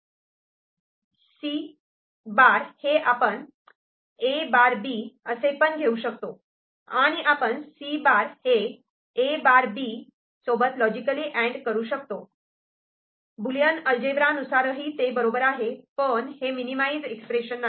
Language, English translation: Marathi, Now, this C bar we can take this as A bar, B ANDed with C bar that is also fine, that is also is, Boolean algebra wise expression wise, it is correct, but it is not the minimised expression